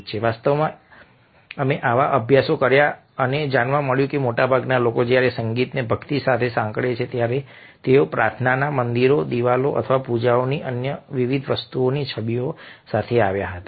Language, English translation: Gujarati, in fact, we did such studies and found that most of the people, when they associated the kind of music with devotionality, came up with the images of temples, of prayers, of lamps, being or worship and various other things